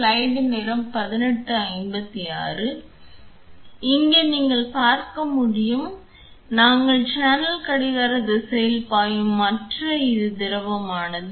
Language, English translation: Tamil, So, here as you can see we had programmed the channel to flow in the clockwise direction and this is the liquid